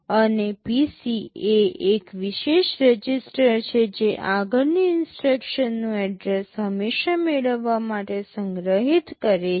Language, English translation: Gujarati, And PC is a special register which always stores the address of the next instruction to be fetched